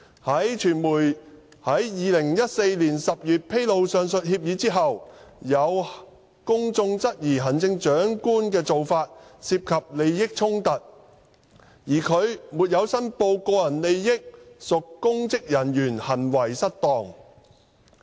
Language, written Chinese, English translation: Cantonese, 在傳媒於2014年10月披露上述協議後，有公眾質疑行政長官的做法涉及利益衝突，而他沒有申報個人利益屬公職人員行為失當。, Upon revelation of the aforesaid agreement by the media in October 2014 some members of the public queried that such practice of CE involved a conflict of interests and his failure to declare the interests constituted a misconduct in public office